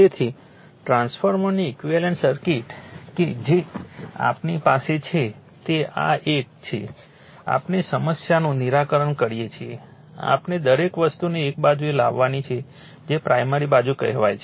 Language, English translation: Gujarati, So, equivalent circuitof a transformer that is that is we have to this is this one we lot solve the problem we have to bring everything to one side that is say primary side